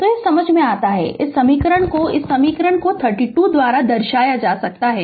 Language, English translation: Hindi, So, it is understandable right this this this equation can be represented by equation 32 right